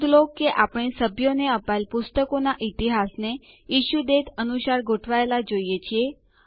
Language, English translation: Gujarati, Notice that, we see a history of books issued to members and ordered by Issue Date